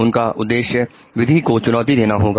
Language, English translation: Hindi, His purpose was to defy the law